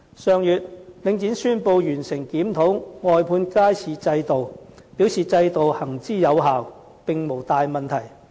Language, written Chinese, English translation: Cantonese, 上月，領展宣布完成檢討外判街市制度，表示制度行之有效，並無大問題。, Last month Link REIT announced that the review of the wet market outsourcing mechanism was completed and it concluded that the mechanism was operating effectively with no major problem